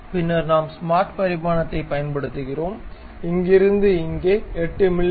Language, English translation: Tamil, Then we use smart dimension, from here to here it supposed to be 8 mm